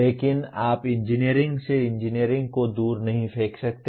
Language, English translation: Hindi, But you cannot throw away engineering from engineering